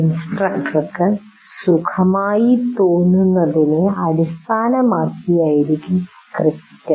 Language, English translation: Malayalam, So the script will be based on with what the instructor feels comfortable with